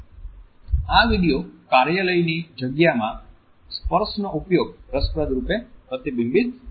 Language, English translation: Gujarati, This video interestingly reflects the use of touch in the offices space